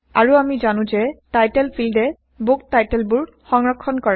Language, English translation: Assamese, And we know that the title field stores the book titles